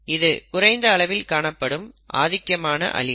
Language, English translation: Tamil, This is the very low frequency of the dominant allele